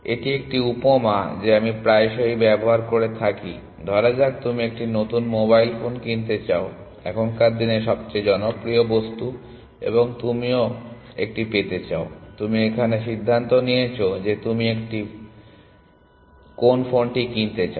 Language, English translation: Bengali, It is an analogy that, I often tend to use that supposing you are buying a new, you want to buy a new, mobile phone the most popular object now a days and you want to get a, you have decided what phone you want to buy and but there are three or four shops which are selling it